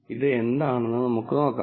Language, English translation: Malayalam, We will see, what this is